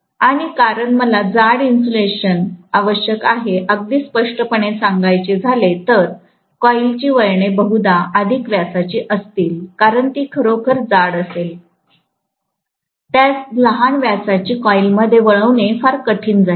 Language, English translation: Marathi, And because I require thicker insulation, very clearly that coil turns will probably be of higher diameter, because it will be really really thick, it will be very difficult to wind it into a smaller diameter coil